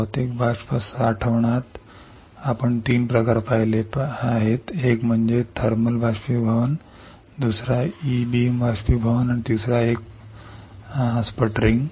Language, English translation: Marathi, In physical vapour deposition we have seen three types one is thermal evaporation, second is e beam evaporation and third one is sputtering